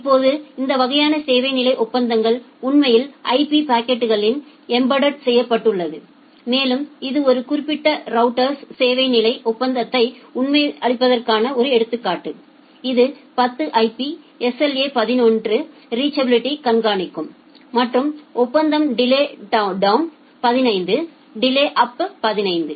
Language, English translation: Tamil, Now, this kind of service level agreements are actually also embedded in the IP packets and this is one example of configuring service level agreement in a particular router that track 10 IP SLA 11 reachability and agreement is delay down 15 up 15; that means, in the downlink it can tolerate up to 15 millisecond delay in uplink it can also tolerate into up to 15 milliseconds of delay